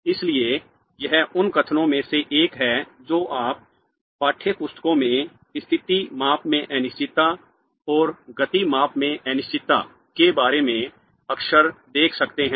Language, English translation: Hindi, Therefore this is one of the statements that you might see in textbooks very often regarding the uncertainty in the position measurement and uncertainty in the momentum measurement